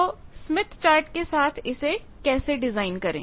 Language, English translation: Hindi, So, with smith chart how to design